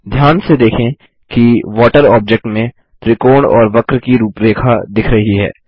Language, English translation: Hindi, Observe that in the object water, the outlines of the triangle and the curve are displayed